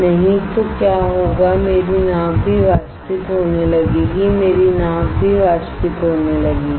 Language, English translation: Hindi, Otherwise what will happen my boat will also start evaporating, my boat will also start evaporating